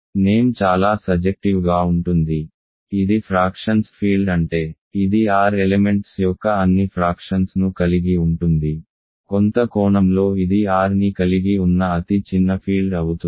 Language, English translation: Telugu, The name is very suggestive right, it is field of fractions means it contains all fractions of elements of R; in some sense it is the smallest field that contains R